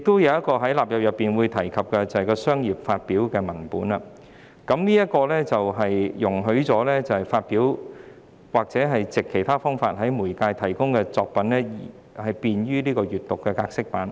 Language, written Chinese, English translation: Cantonese, 此外，《條例草案》亦提及，除"商業發表"的文本外，將會容許使用已發表或已藉其他方式在任何媒介公開提供的作品製作便於閱讀格式版。, In addition the Bill has also proposed to allow in addition to commercial publication of applicable works the making of accessible copies from such works that are published or otherwise made publicly available in any media